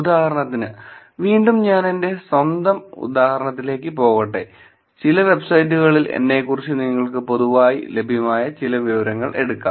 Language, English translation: Malayalam, For example, again, let me go to my own example, you can take some publicly available information about me on some websites